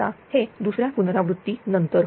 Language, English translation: Marathi, Now this is after second iteration